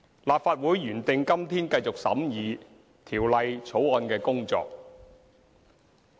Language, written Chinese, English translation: Cantonese, 立法會原定今天繼續審議《條例草案》的工作。, The Legislative Council was scheduled to continue with the scrutiny of the Bill today